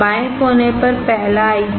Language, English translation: Hindi, The first IC on the left corner